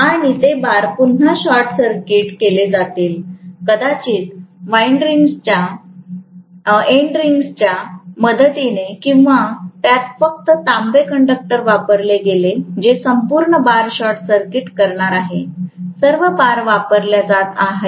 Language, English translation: Marathi, And those bars are again going to be short circuited, maybe with the help of endearing or it simply put copper conductor, which is going to short circuit the complete bars, all the bars which are being used